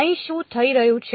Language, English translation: Gujarati, What is happening over here